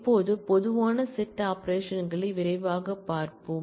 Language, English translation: Tamil, Now, we take a quick look into the common set operations